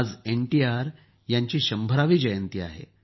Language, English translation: Marathi, Today, is the 100th birth anniversary of NTR